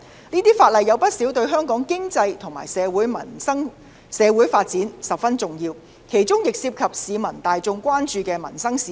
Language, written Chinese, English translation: Cantonese, 這些法案有不少皆對香港的經濟和社會發展十分重要，其中亦涉及市民大眾關注的民生事宜。, Many of these bills are very important to the economic and social development of Hong Kong and they also involve livelihood issues of public concern